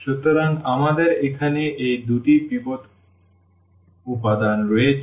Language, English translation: Bengali, So, we have these two pivot elements here